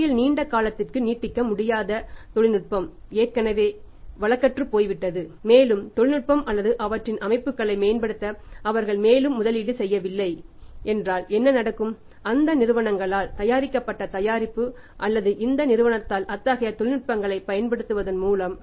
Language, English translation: Tamil, If you are supplying to a company who is not able to then to on the long term basis sustain in the market because their technology has already become obsolete and they have not made any further investment to upgrade the technology or their systems then what will happen the product manufactured by those companies or by using such technologies by this company